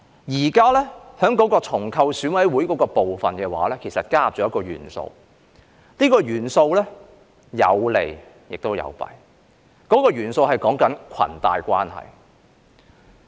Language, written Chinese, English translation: Cantonese, 現時在重構選委會的部分其實加入了一個元素，這個元素有利也有弊，這個元素是裙帶關係。, In the present reconstitution of EC an element has in fact been added . This element having both advantages and disadvantages is cronyism